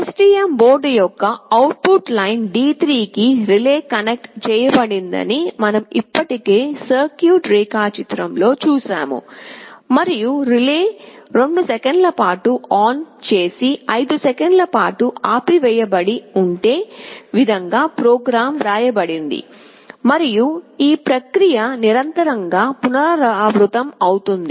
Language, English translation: Telugu, We have already seen in the circuit diagram that the relay is connected to the output line D3 of the STM board, and the program is written in such a way that the relay will be turned on for 2 seconds and turned off for 5 seconds, and this process will repeat indefinitely